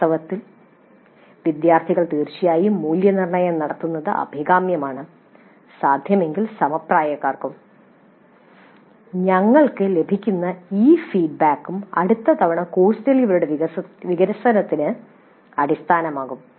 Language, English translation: Malayalam, In fact it is desirable to have the evaluation by students definitely and if possible by peers and these feedback that we get would be the basis for development of the course delivery the next time